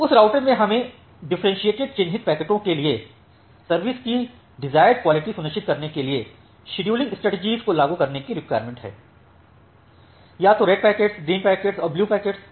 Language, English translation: Hindi, So, in that routers we need to apply the scheduling strategies to ensure the desired quality of service for different marked packets either red packet, green packets and the blue packet